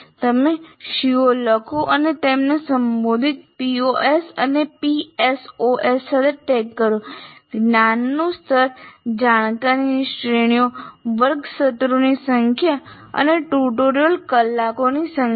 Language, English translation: Gujarati, So you write the C O and then the P O's and PSOs addressed and then cognitive level, knowledge categories and class sessions and number of tutorial hours